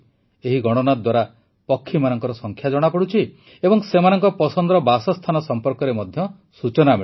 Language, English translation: Odia, This Census reveals the population of water birds and also about their favorite Habitat